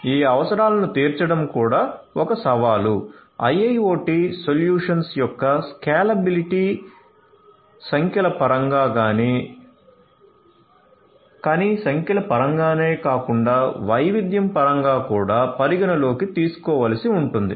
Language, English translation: Telugu, Catering to this going requirements is also a challenge; scalability of IIoT solutions will have to be taken into account both in terms of numbers, but not only in terms of numbers, but also in terms of diversity